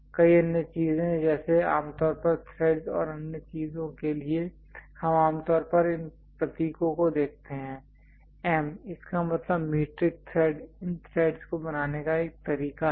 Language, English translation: Hindi, Many other things like typically for threads and other things, we usually see these symbols M; that means, metric thread one way of creating these threads